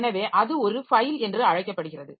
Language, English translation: Tamil, So, that is called a file